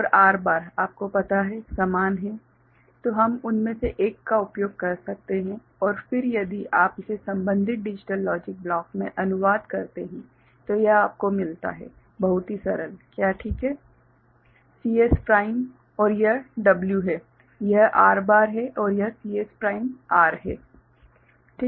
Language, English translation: Hindi, So, W and R bar is you know, the same so, we can use one of them and then if you translate it to a corresponding digital logic block this is what you get; very simple is it fine, CS prime and this is going as W, that is R bar and this is CS prime R